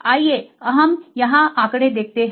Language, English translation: Hindi, Let us see the statistics here